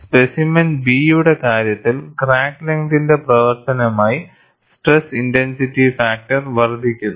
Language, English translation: Malayalam, They considered specimen B, wherein, as the crack length increases, the stress intensity factor also increases